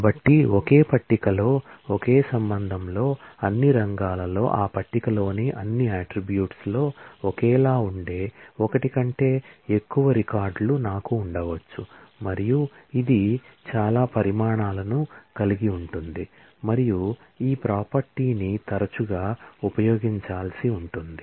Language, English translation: Telugu, So, it is possible that in the same relation in the same table, I may have more than one record which are identical in all the fields, in all the attributes of that table and this will have lot of consequences and we will see how often, this property will have to be used